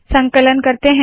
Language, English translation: Hindi, We compile it